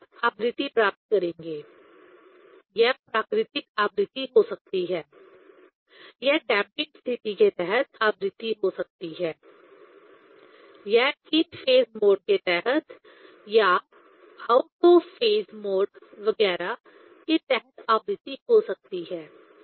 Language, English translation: Hindi, Now you will get frequency, it may be natural frequency, it may be frequency under damping condition, it may be frequency under in phase mode or out of phase mode, etcetera